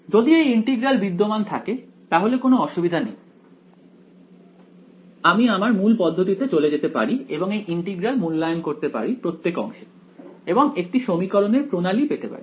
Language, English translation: Bengali, If these integrals exist trivially then there is no problem I can go back to my original procedure evaluate the integral over all segments get my system of equations and I am there